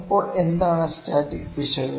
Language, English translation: Malayalam, So, what is the static error